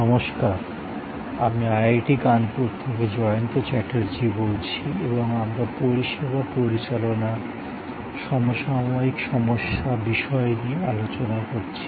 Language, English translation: Bengali, Hello, I am Jayanta Chatterjee from IIT, Kanpur and we are discussing Managing Services, contemporary issues